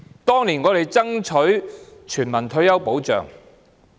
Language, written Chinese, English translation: Cantonese, 當年，我們爭取全民退休保障。, Back then we strove for universal retirement protection